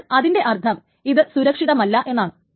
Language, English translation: Malayalam, So that means this is unsafe